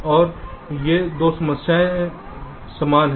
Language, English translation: Hindi, so these two problems are the same